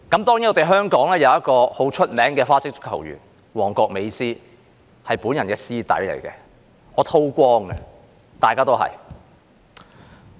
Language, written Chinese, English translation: Cantonese, 當然，香港有一位很有名的花式足球員——"旺角美斯"，他是我的師弟，我是叨光的，大家都一樣。, Of course there is a very famous football freestyler in Hong Kong―Mong Kok MESSI who is my alumnus . I am basking in the reflected glory of him . Everyone is doing the same